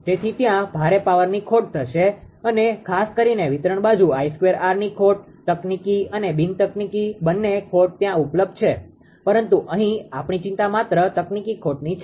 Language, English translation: Gujarati, So, there will be heavy power loss particularly the distribution side I square r loss a technical and non technical both losses are available are there right , but our concern here is only that technical losses